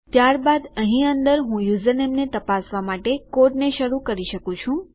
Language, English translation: Gujarati, Then, under here I can start my code to check my username